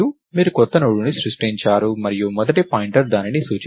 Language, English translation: Telugu, You created a new Node and the first pointer will point to that